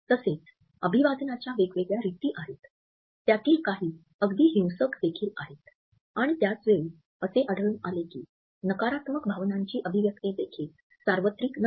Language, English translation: Marathi, At the same time there are different greeting customs, some of them even violent and at the same time we find that the expression of negative emotions is also not universal